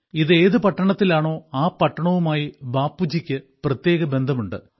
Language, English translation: Malayalam, Let me tell you one more thing here the city in which it is located has a special connection with Bapu